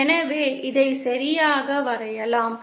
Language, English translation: Tamil, So let me draw this properly